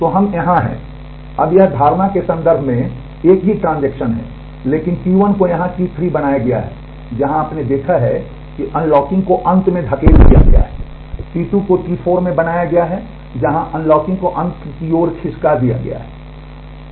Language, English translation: Hindi, So, we are here now it is the same transaction in terms of the notion, but T 1 has been made to T 3 here, where you have seen that unlocking is been pushed to the end T 2 has been made into T 4, where the unlocking is pushed to the end